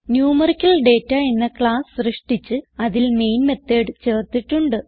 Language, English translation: Malayalam, We have created a class NumericalData and added the main method to it